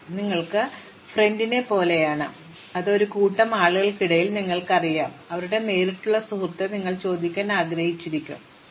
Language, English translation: Malayalam, So, supposing you have a relationship like friend, so you know among a group of people, who is a direct friend of whom, then you might want to ask, who knows indirectly